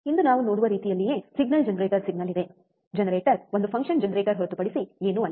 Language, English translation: Kannada, Same way we will see today, there is a signal generator signal, generator is nothing but a function generator